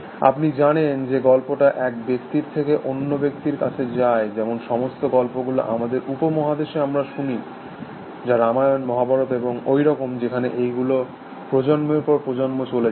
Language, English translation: Bengali, ) You know that is stories are passed on from one person to the next, like all the stories that we hear in our subcontinent, the Ramayan the Mahabharat and so on, where sort of overly conveyed from generation to generation